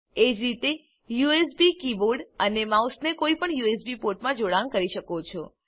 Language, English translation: Gujarati, Alternately, you can connect the USB keyboard and mouse to any of the USB ports